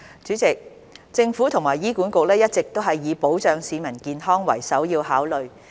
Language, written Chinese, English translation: Cantonese, 主席，政府和醫院管理局一直以保障市民健康為首要考慮。, President the Government and the Hospital Authority HA always take the safeguarding of public health as the top priority